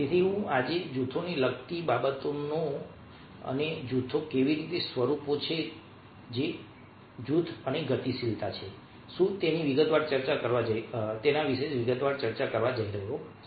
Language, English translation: Gujarati, so today i am going to discuss in detail the things related to groups and how groups are forms and what exactly is group and dynamics